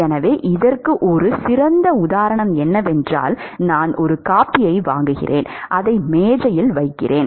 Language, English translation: Tamil, So, a nice example of this is supposing, I purchase a coffee a cup of coffee, I place it on the table